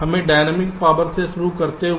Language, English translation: Hindi, let us start with dynamic power